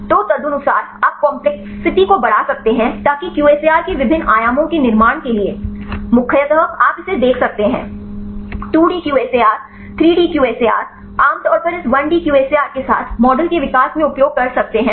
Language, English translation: Hindi, So, accordingly you can increase the complexity right to build up the different dimensionals of this QSAR right mainly you can see this 2D QSAR, 3D QSAR commonly a used in the developing the models along this 1D QSAR